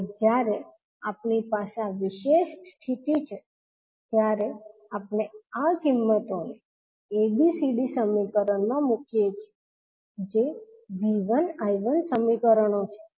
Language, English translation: Gujarati, And when we have this particular condition we put these values in the ABCD equation that is V 1 I 1 equations